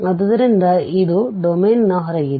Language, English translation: Kannada, So, this is outside the domain